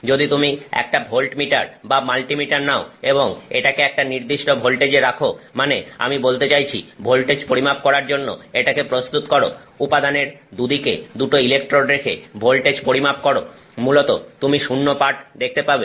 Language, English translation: Bengali, If you simply put, you know, take a volt meter or multimeter, multi meter and you put set some voltage, I mean set it to read voltages, measure voltages, and you put the two electrodes on either side of the material, you are basically going to see zero, okay